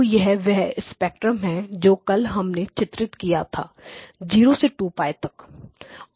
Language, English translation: Hindi, So this is the spectrum that we have drawn from 0 to 2 pi